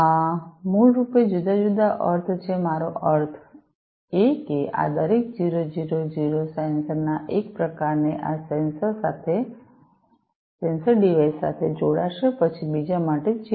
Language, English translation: Gujarati, And these are basically the different sense, I mean each of these 000 will correspond to one type of sensor connect connection to one of these sensor device, then 011 for another one and so on